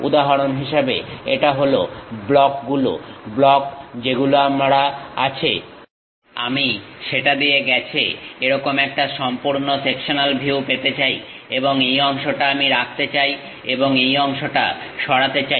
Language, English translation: Bengali, For example, this is the blocks, block what I have; I would like to have a full sectional view passing through that, and this part I would like to retain and remove this part